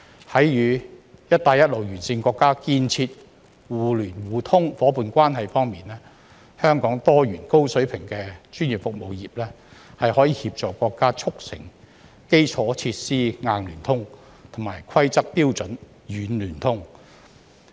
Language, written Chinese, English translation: Cantonese, 在與"一帶一路"沿線國家建設互聯互通夥伴關係方面，香港多元、高水平的專業服務業可協助國家促成基礎設施"硬聯通"及規則標準"軟聯通"。, Speaking of developing mutual connectivity partnerships with BR countries Hong Kongs diversified professional services industry of a high standard may assist the country in facilitating hardware connectivity for their infrastructure facilities and also software connectivity for their rules and standards